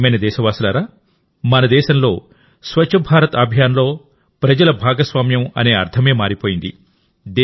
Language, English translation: Telugu, My dear countrymen, Swachh Bharat Abhiyan has changed the meaning of public participation in our country